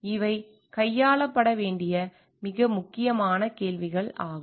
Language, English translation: Tamil, These are very important questions to be handled